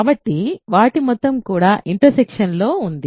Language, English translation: Telugu, So, their sum is also in the intersection